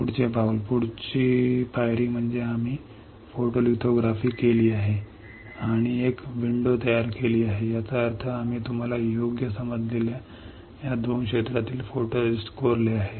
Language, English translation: Marathi, Next step; next step is we have performed the photolithography and created a window; that means, we have etched the photoresist from these 2 area correct you understood right